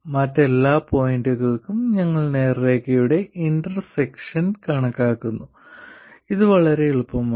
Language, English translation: Malayalam, For all other points we are computing intersection of two straight lines and this is very easy